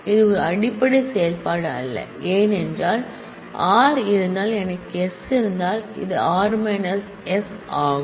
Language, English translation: Tamil, It is not a fundamental operation because, if I have r, if I have s, then this is r minus s